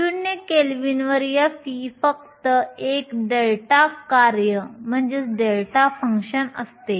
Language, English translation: Marathi, At 0 kelvin f of e is just a delta function